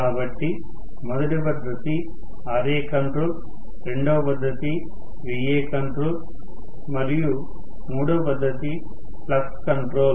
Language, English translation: Telugu, So, the first method is Ra control, the second method is Va control and the third method is flux control